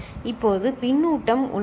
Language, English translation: Tamil, Now, the feedback is there